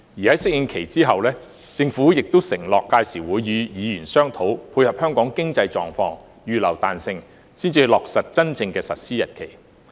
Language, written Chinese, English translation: Cantonese, 在適應期後，政府亦承諾屆時會與議員商討，配合香港經濟狀況，預留彈性，才落實真正的實施日期。, The Government has also pledged that after the phasing - in period it will discuss with Members how to dovetail with Hong Kongs economic situation and allow flexibility before finalizing the actual implementation date